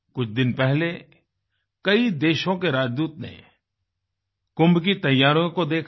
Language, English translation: Hindi, A few days ago the Ambassadors of many countries witnessed for themselves the preparations for Kumbh